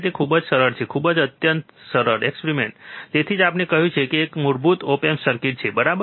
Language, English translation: Gujarati, So, very easy, very easy extremely simple experiment, that is why we have said it is a these are basic op amp circuits, right